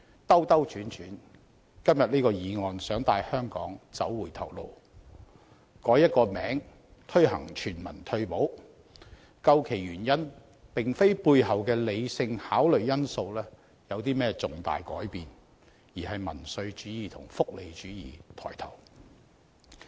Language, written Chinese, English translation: Cantonese, 兜兜轉轉，今天這項議案想帶香港走回頭路，改一個名字推行全民退保，究其原因，並非背後的理性考慮因素有甚麼重大改變，而是民粹主義和福利主義抬頭。, We have been going round in circles . The motion today is leading Hong Kong to backtrack seeking to introduce universal retirement protection after a mere change of name . This approach originated not from any significant change in factors of consideration based on rational analyses but the rise of populism and welfarism